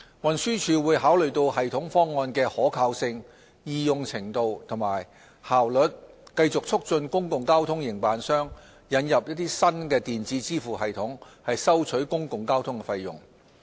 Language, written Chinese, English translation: Cantonese, 運輸署會考慮系統方案的可靠性、易用程度及效率，繼續促進公共交通營辦商引入新電子支付系統收取公共交通費用。, TD will continue to facilitate public transport operators plans in introducing new electronic payment systems for public transport fare collection having regard to the systems reliability user - friendliness and efficiency